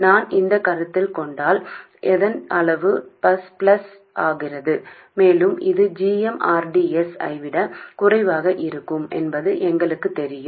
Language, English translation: Tamil, If I consider only its magnitude becomes plus and we know that this is going to be less than GM RDS